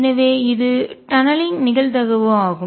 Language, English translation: Tamil, So, this is tunneling probability